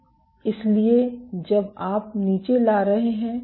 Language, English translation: Hindi, So, when you are bringing down